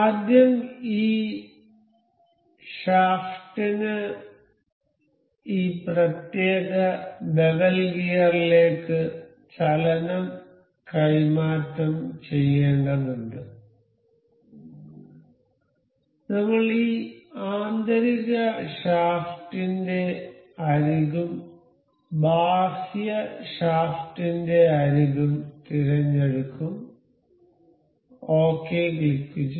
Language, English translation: Malayalam, So, for first this this shaft has to translate the motion to this particular bevel gear, I will select the edge of this inner shaft and the edge of this outer shaft click ok